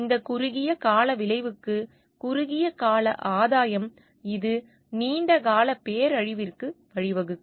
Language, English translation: Tamil, For this short term outcome which mean short term gain which may lead to a long term disaster